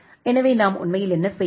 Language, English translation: Tamil, So, what we are actually doing